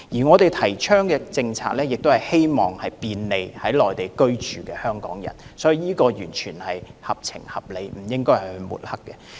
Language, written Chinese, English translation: Cantonese, 我們提倡的政策，是希望便利在內地居住的香港人，是完全合情合理的，不應該被抹黑。, The policy advocated by us is aimed to bring convenience to Hong Kong people living on the Mainland . It is totally reasonable and justified and it should not be smeared